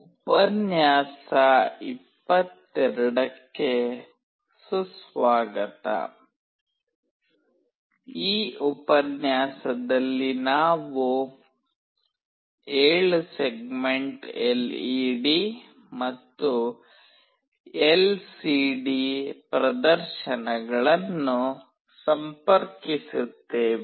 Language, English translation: Kannada, Welcome to lecture 22, in this lecture we will be interfacing 7 segment LED and LCD displays